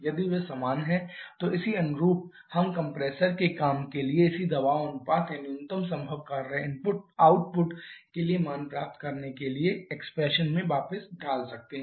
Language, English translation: Hindi, If they are equal then corresponding we can pull this into back into the expression for the compressor work to get the values for the corresponding pressure ratio or the minimum possible work output